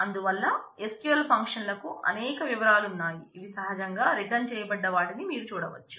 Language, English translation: Telugu, So, so there are SQL functions have several details which you can go through it has returned naturally